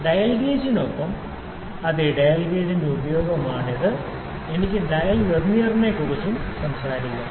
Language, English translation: Malayalam, So, this is the use of dial gauge yes with dial gauge I can also talk about the dial Vernier